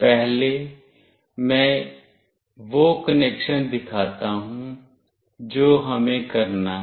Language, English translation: Hindi, First let me show the connection that we have to do